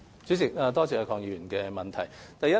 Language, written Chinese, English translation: Cantonese, 主席，多謝鄺議員的補充質詢。, President I thank Mr KWONG for his supplementary question